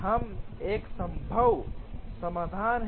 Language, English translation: Hindi, We have a feasible solution